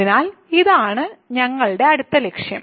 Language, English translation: Malayalam, So, this is our next goal